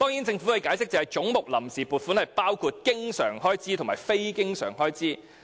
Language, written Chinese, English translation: Cantonese, 政府解釋，總目下的臨時撥款包括經常開支及非經常開支。, As explained by the Government the funds on account under each head comprise recurrent and non - recurrent expenditure